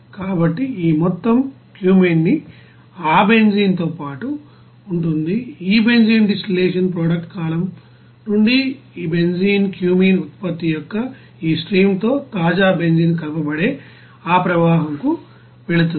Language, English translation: Telugu, So, this amount of cumene will be along with that benzene and it will be going to that you know vessel where fresh benzene will be mixed with this you know stream of this benzene and cumene product from this benzene distillation product column